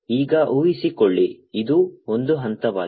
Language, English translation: Kannada, now suppose this is step one